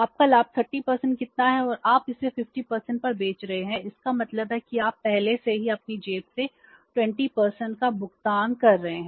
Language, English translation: Hindi, 30% and you are selling it at 50% it means already you are paying 20% from your pocket